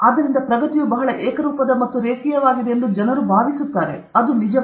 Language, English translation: Kannada, So, it makes people feel that progress is very uniform and linear; it is not the case